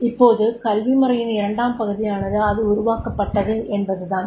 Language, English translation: Tamil, Now the part two in the education system is how it is developed